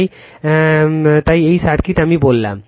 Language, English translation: Bengali, So, so this is the circuit I told you right